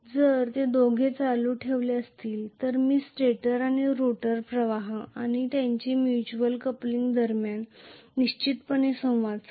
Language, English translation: Marathi, If both of them are carrying current I will definitely have interaction between the stator and rotor currents and their mutual coupling also